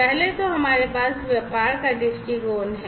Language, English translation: Hindi, So, we have at first we have the business viewpoint